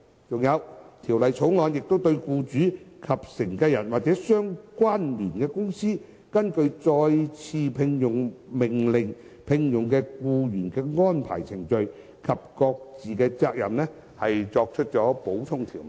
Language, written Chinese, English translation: Cantonese, 再者，《條例草案》亦對僱主及繼承人或相聯公司根據再次聘用命令聘用僱員的安排程序及各自責任作出補充條文。, Furthermore the Bill also seeks to make supplementary provisions on the procedural arrangement for the engagement of the employee by the employer and the successor or associated company under an order for re - engagement and on the respective obligations of the parties involved